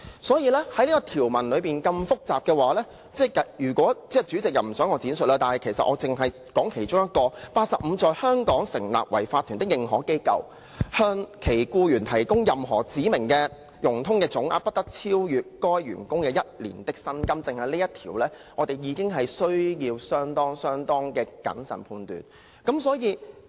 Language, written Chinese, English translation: Cantonese, 所以，這項條文內容如此複雜，代理主席不想我在此闡述，但其實我只說出其中一點，例如第85條："在香港成立為法團的認可機構向其僱員提供任何指明的融通總額，不得超逾該僱員一年的薪金"，單就這一條，我們已需要相當謹慎審議。, The contents of this provision are so complicated that the Deputy President does not want me to make any elaboration here . Actually I need to highlight one point only . For instance section 85 provides that an authorized institution incorporated in Hong Kong shall not provide to any one of its employees any facility to an aggregate amount of such facilities in excess of one years salary for the employee